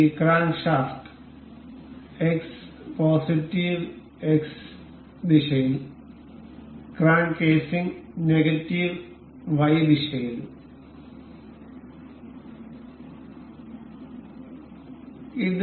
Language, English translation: Malayalam, And this crankshaft in the X positive X direction, and this crank casing in negative Y